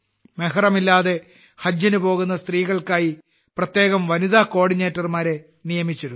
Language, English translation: Malayalam, Women coordinators were specially appointed for women going on 'Haj' without Mehram